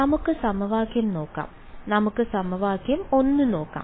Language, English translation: Malayalam, So, let us look at equation let us look at equation 1 ok